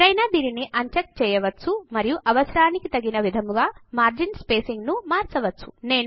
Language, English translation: Telugu, One can uncheck it and change the margin spacing as per the requirement